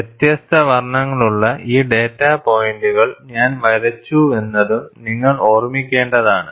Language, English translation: Malayalam, And you will have also have to keep in mind, that I have drawn these data points with different colors